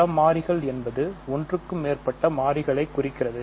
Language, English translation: Tamil, So, several variables means more than 1 variable